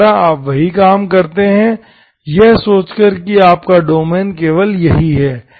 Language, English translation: Hindi, Again you do the same thing, thinking that your domain is only this